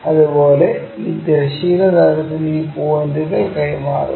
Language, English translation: Malayalam, Similarly, transfer these points on this horizontal plane thing